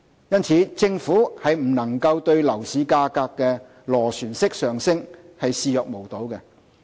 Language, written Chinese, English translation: Cantonese, 因此，政府不能對樓市價格的螺旋式上升視若無睹。, For this reason the Government cannot turn a blind eye to the upward spiral in property prices